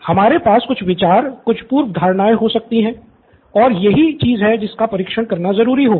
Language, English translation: Hindi, We may have some ideas preconceived notions and that is something that they will have to test out